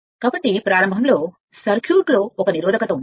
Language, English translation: Telugu, So initially, when this initially there was 1 resistance in the circuit